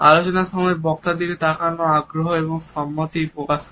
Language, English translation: Bengali, Looking at the speaker during the talk suggest interest and agreement also